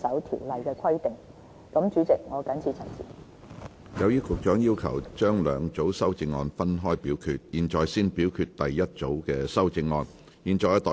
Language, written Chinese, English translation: Cantonese, 由於局長要求將兩組修正案分開表決，現在先表決局長的第一組修正案。, As the Secretary has requested separate voting on her two groups of amendments her first group of amendments will now be put to vote first